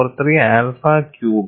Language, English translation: Malayalam, 43 alpha cubed